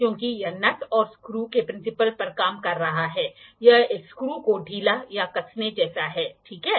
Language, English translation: Hindi, Because it is it is working on the principal of the nut and screw it is just like loosening or tightening a screw, ok